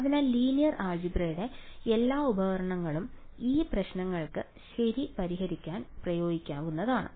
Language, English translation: Malayalam, So, all the tools of linear algebra can be applied to these problems to solve them ok